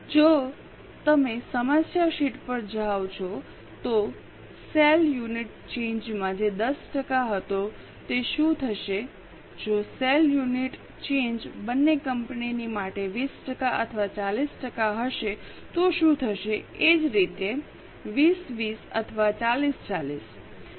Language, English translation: Gujarati, If you go to problem sheet, the sale unit change which was 10%, what will happen if sale unit change is 20% or 40% for both the company is same, so 2020 or 4040